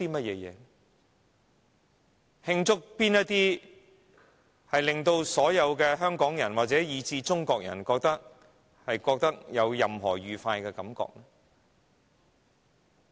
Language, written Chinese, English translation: Cantonese, 有哪些事情是令所有香港人，以至中國人有任何愉快感覺的呢？, Is there anything that pleases everyone in Hong Kong and even the people in China?